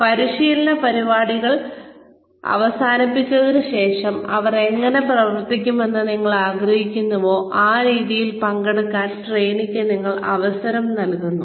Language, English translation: Malayalam, So, in the training program, then, you give the trainee, a chance to participate, the way , you would want them to perform, after the training program was over